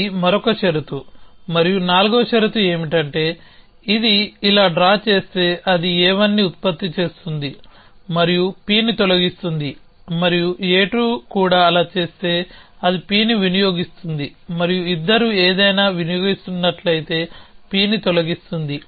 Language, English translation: Telugu, So, that is one more condition and the fourth condition is that, so it as draw it like this is a 1 produces P and deletes P and if a 2 also does that, it consumes P and deletes P if both of them are consuming something